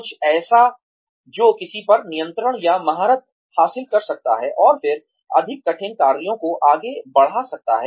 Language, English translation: Hindi, Something that one can gain control or mastery over, and then, move on to more difficult tasks